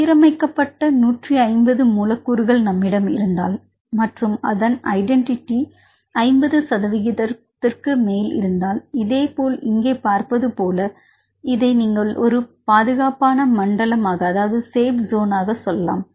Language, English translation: Tamil, If we have 150 residues which are aligned, and if the identity is more than 50 percent likewise like see here, this you can say as a safe zone